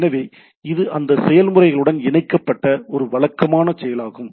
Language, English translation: Tamil, So, it is a routine attached with that process itself